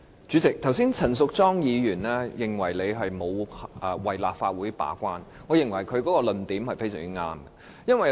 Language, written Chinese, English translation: Cantonese, 主席，剛才陳淑莊議員說你沒有為立法會把關，我認為她的論點非常正確。, President just now Ms Tanya CHAN said that you have not defended for this Council and I think her argument is absolutely correct